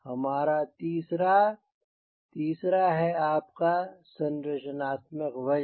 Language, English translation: Hindi, a third third is your structural weight